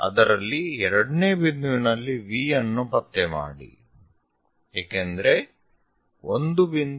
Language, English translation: Kannada, So, in that at second point locate V because 1